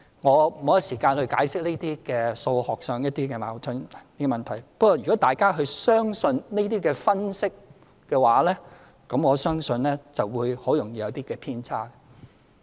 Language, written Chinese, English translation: Cantonese, 我沒有時間解釋這些數學上的矛盾問題，不過，如果大家相信這些分析，我相信會很易會有偏差。, I do not have time to resolve this mathematical paradox . But if Members believe such analysis I think that it will easily lead to discrepancies